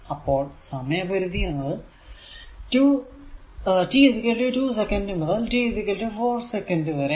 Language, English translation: Malayalam, So, it is t 0 is given this is given 2 t is equal to 2 second and t is equal to 4 second